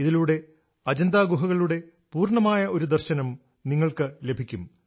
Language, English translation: Malayalam, A full view of the caves of Ajanta shall be on display in this